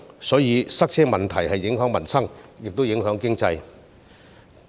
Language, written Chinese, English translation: Cantonese, 所以，塞車問題既影響民生，也影響經濟。, Therefore traffic congestion affects both peoples livelihood and the economy